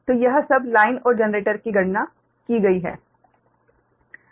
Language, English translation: Hindi, so this all line and generator computed